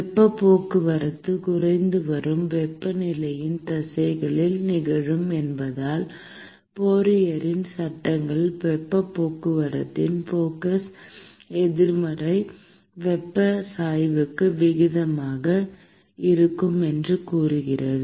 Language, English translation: Tamil, Because the heat transport is occurring in the direction of the decreasing temperature, the Fourier’s laws states that the flux of heat transport is proportional to the negative temperature gradient